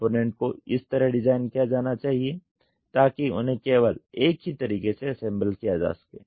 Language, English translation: Hindi, Component should be designed so that they can be assembled only one way